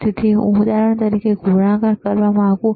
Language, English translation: Gujarati, So, I want to do a multiplication for example